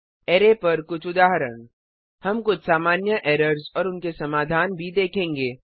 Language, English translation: Hindi, Few Examples on array We will also see some common errors and their solutions